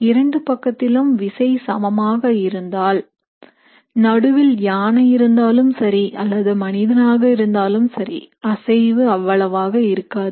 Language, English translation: Tamil, If the forces on both sides are similar, you can have an elephant standing in the middle or a small human being, the movement will not be much